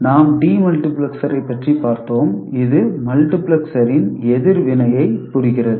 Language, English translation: Tamil, We looked at de multiplexer, which is does the reverse operation